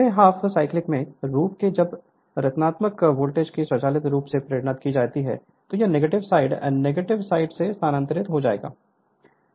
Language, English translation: Hindi, As the next half cycle next half cycle when negative voltage will be induced automatically this coil side will be shifted to the negative your negative your negative side right